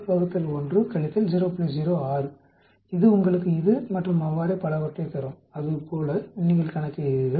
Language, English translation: Tamil, 06 that will give you this and so on actually; like that you calculate